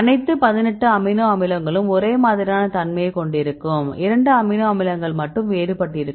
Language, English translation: Tamil, So, all the 18 amino acid they contain the series two and the others are difference